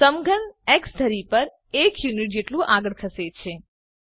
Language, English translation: Gujarati, The cube moves forward by 1 unit on the x axis